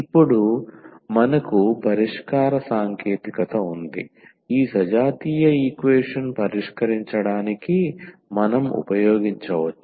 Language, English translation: Telugu, And now we have the solution technique which we can use for solving this such a homogeneous equation